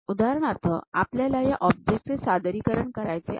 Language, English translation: Marathi, For example, this is the object we would like to represent